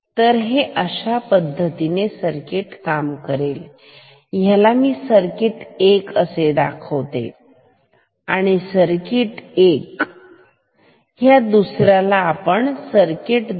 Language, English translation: Marathi, So, this is how this circuit works and let me call this, let me call this as circuit 1; circuit 1 and let me call this as the other one I will call it at circuit 2